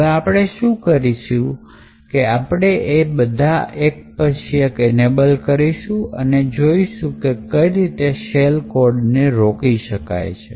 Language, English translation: Gujarati, So, what we will do is that we will enable each of these one by one and then we will see how this shell code is prevented